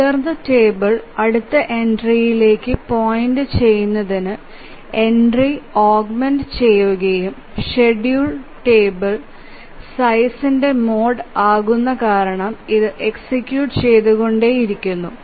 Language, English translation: Malayalam, And then the entry is augmented to point to the next entry in the table and it is mod of the schedule table size because it just keeps on executing that